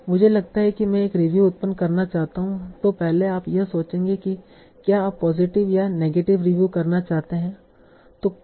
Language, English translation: Hindi, It says that first you think that whether you want to generate a positive or negative review